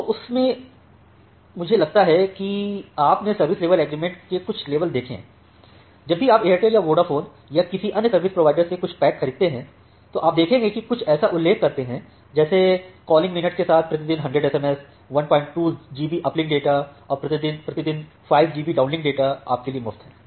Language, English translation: Hindi, So in that I think you have seen some level of service level agreement, whenever you are purchasing certain packs from Airtel or Vodaphone or any other service providers, you will see they mention something like that will provide you these minutes of free calling send them 100 SMS per day then 1